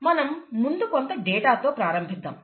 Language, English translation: Telugu, Let us start with some data